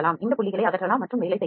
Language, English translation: Tamil, These dots can be removed and can be worked on